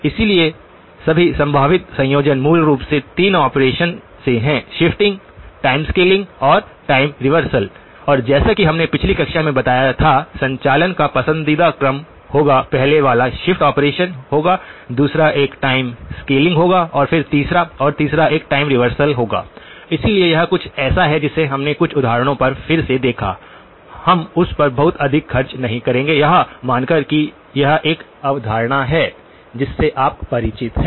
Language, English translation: Hindi, So the all possible combinations basically boiled down to 3 operations; shifting, time scaling and time reversal and as we mentioned in the last class, the preferred sequence of operations one would be; the first one would be the shift operation, second one would be the time scaling and then that and the third one would be the time reversal okay, so this is something that we looked at a few examples again, we would not spend a dwell much on that assuming that is a concept that you are familiar with